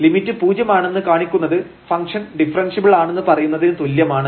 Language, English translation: Malayalam, That means, if this limit is 0 then the function is differentiable